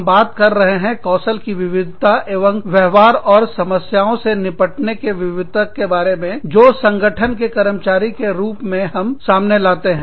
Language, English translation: Hindi, We are talking about, the diversity of skills and behaviors, and diversity of dealing with issues, that we bring to the table, as employees of an organization